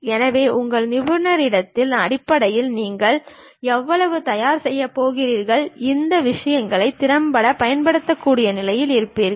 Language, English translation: Tamil, So, based on your expertise how much you are going to prepare you will be in a position to effectively use these things